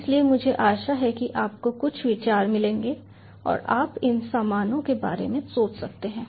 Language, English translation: Hindi, so i hope you get some ideas and you can thinker around with these stuff